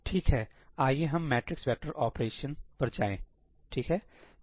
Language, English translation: Hindi, Alright, let us go to a matrix vector operation